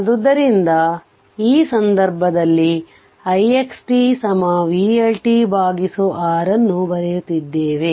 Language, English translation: Kannada, In this case, we are writing I x t is equal to vLt upon 6